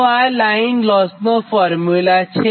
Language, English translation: Gujarati, so this is the formula for the line loss